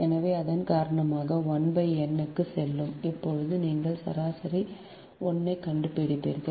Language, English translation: Tamil, so because of that, that is, one will go to one upon n will be there when you will find out the average one